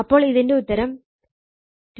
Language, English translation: Malayalam, So, it is 2478